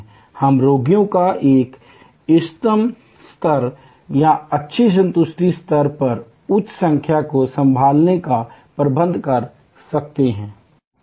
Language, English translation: Hindi, We can manage to handle an optimum level of patients, higher number at good satisfaction level